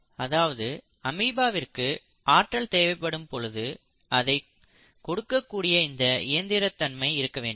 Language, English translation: Tamil, So the amoeba will have to have machinery in place where as and when the organism needs it, the energy is supplied